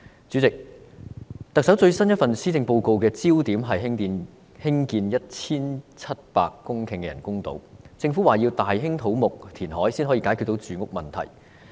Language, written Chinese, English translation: Cantonese, 主席，特首最新一份施政報告的焦點是興建 1,700 公頃的人工島，政府表示要大興土木填海才能解決住屋問題。, President the focus of the Chief Executives latest Policy Address is the construction of artificial islands measuring 1 700 hectares . As stated by the Government massive construction and reclamation is necessary to resolve the housing problem